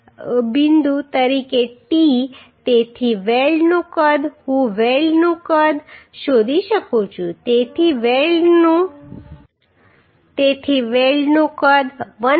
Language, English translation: Gujarati, So t as 1 point so size of the weld I can find out size of the weld right so size of the weld will be 1